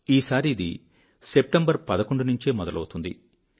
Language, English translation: Telugu, This time around it will commence on the 11th of September